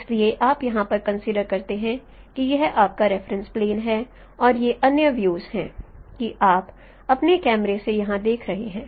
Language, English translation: Hindi, So you consider here that this is your reference plane and these are the other views from where you are looking at from your camera